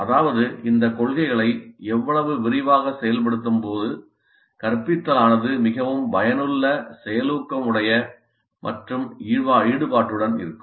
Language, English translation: Tamil, That means the more extensive the implementation of these principles, the more effective, efficient and engaging will be the instruction